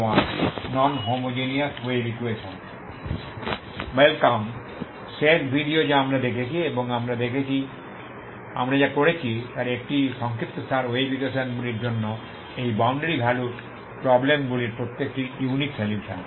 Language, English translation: Bengali, Welcome back last video we have seen we had a recap of what we have done we have seen the unique solution for each of this boundary value problems for the wave equations